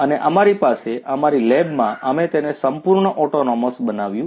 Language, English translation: Gujarati, And, we have in our lab we have made it fully autonomous